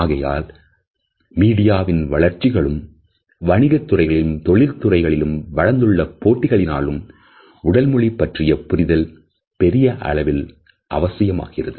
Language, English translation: Tamil, And therefore, we find that because of the growing presence of media, the growing competitiveness in the business world as well as in other professions a significant understanding of body language is must